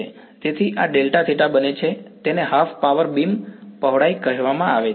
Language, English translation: Gujarati, So, this delta theta becomes it is called the Half Power Beam Width